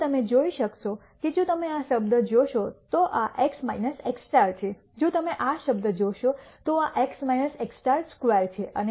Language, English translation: Gujarati, Now, you could see that if you look at this term this is x minus x star if you look at this term this is x minus x star square and so on